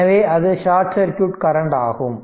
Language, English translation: Tamil, So, that is your what you call short circuit current